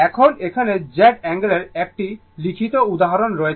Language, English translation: Bengali, Now, next that is here written example Z angle